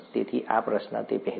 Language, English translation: Gujarati, So this question, before that